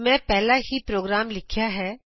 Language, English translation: Punjabi, I have already opened the program